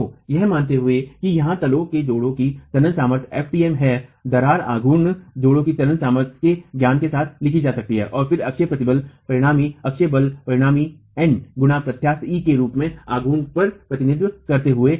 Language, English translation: Hindi, So assuming that the bed joint tensile strength here is fMt the cracking moment can be written with the knowledge of the tensile strength of the bed joint itself again representing the moment as the axial stress resultant, axial force result in n into the eccentricity e